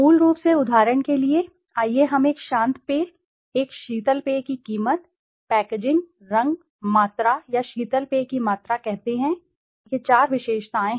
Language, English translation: Hindi, Basically for example in case of a let us say a cool drink, a soft drink the price, the packaging, the color, the volume or the amount of soft drinks, this could be the four features, four attributes